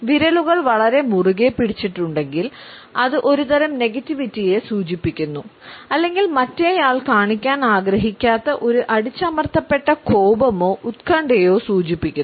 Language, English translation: Malayalam, If the fingers are very tightly held then it suggests some type of negativity a suppressed anger or anxiety which the other person does not want to show